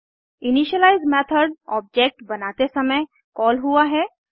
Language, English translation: Hindi, An initialize method is called at the time of object creation